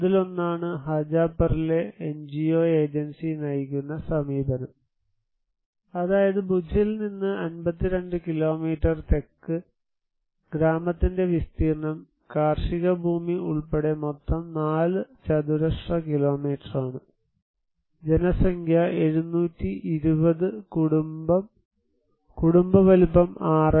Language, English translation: Malayalam, One is NGO agency driven approach in Hajapar, that is 52 kilometers south from Bhuj, area is of the village is around 4 square kilometer in total including the agricultural land, population is 720, household size is 6